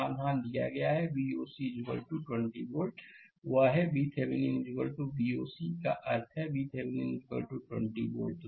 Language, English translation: Hindi, Solution is given that V o c is equal to 20 volt; that is, V Thevenin is equal to V oc means, V Thevenin right,; 20 volt